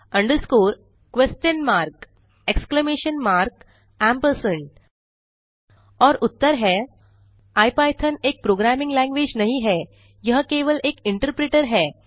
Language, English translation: Hindi, under score ( ) question mark (.) exclamation mark (.) ampersand () And the answers are, Ipython is not a programming language, it is just an interpreter